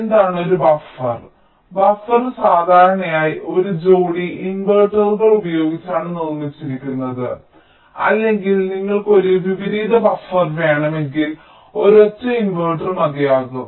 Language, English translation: Malayalam, buffer is typically constructed using a pair of inverters, or if you want an inverting buffer, then a single inverter can also suffice